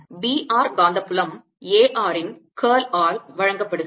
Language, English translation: Tamil, the magnetic field, b r is given as curl of a r